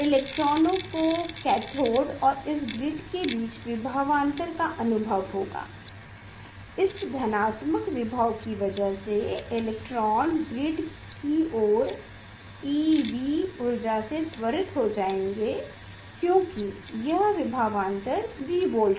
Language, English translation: Hindi, electrons will see the potential difference between the cathode and this grid that potential that is the positive potential electrons will be accelerated with energy e V e and this potential difference V e V